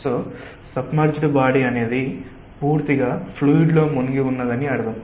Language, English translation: Telugu, so submerged body is something which is completely immersed in the fluid and floating means